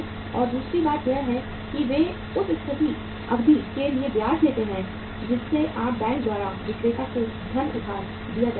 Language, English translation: Hindi, And the second thing is they charge the interest for the period for which the funds are being lent by the bank to the seller